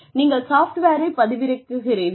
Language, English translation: Tamil, You download the software